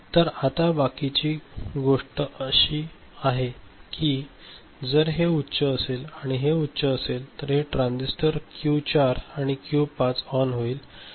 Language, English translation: Marathi, Then rest of the thing is if this is high and this is high so, thes3 2 transistors Q4 ON and Q5 ON ok